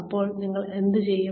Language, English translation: Malayalam, Now, what do you do with them